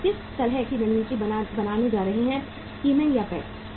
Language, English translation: Hindi, What kind of the strategy we are going to have, skimming or penetration